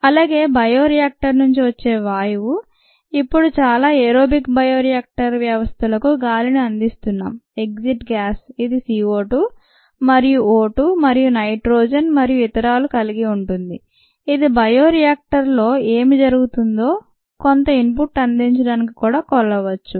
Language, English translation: Telugu, the gas that comes out of the bioreactor now we provide air for most aerobic ah bioreactor systems the exit gas, which consists of c, o two and o two and of course nitrogen and so on, that can also be measured to provide some input into what is happening in the bio reactor